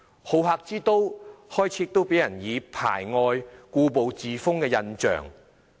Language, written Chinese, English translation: Cantonese, 好客之都開始給人排外、故步自封的印象。, The city of hospitality has begun to give the impression of xenophobia and stagnation